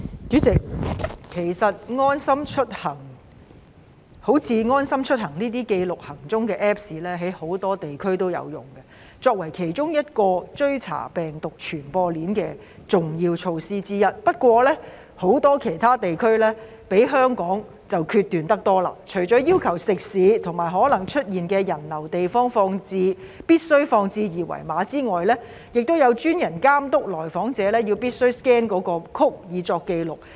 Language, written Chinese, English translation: Cantonese, 主席，其實好像"安心出行"這類記錄行蹤的 Apps， 在很多地區也有使用，以作為追查病毒傳播鏈的重要措施之一，不過很多其他地區比香港決斷得多，除了要求食肆及可能出現人流的地方必須張貼二維碼外，亦有專人監督到訪者必須 scan 那個 code 以作紀錄。, President as a matter of fact this kind of apps like LeaveHomeSafe which keeps records of peoples whereabouts is used in many regions as one of the major measures to trace virus transmission chains . Yet many other regions are much more decisive than Hong Kong . Apart from requiring the QR code to be displayed in restaurants and places which may draw foot traffic there are designated workers overseeing that visitors scan the code for the record